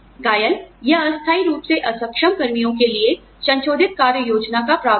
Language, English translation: Hindi, Provision of modified duty plans, for injured or temporarily disabled personnel